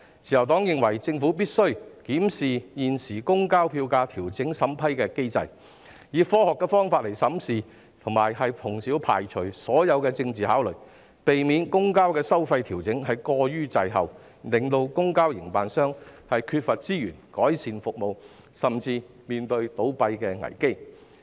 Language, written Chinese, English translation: Cantonese, 自由黨認為，政府必須檢視現行公共交通票價調整審批機制，以科學方法審視，以及排除所有政治考慮，避免公共交通收費調整過於滯後，令公共交通營辦商缺乏資源改善服務，甚至面對倒閉危機。, The Liberal Party holds that the Government must review the existing mechanism for vetting and approving public transport fare adjustments . It should make assessment in a scientific manner and exclude all political considerations such that public transport fare adjustments will not lag too much behind causing public transport operators to be short of resources for service improvement and even expose to the risk of closure